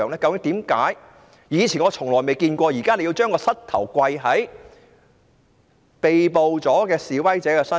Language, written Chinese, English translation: Cantonese, 我以前從未見過警察用膝頭跪在被捕示威者身上。, In the past I have never seen a policeman kneeling on the body of an arrested protester